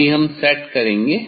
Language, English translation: Hindi, I have to set this